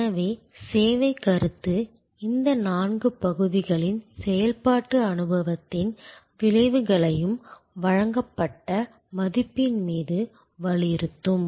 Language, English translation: Tamil, service concept will therefore, empress all these four parts operation experience outcome on the value provided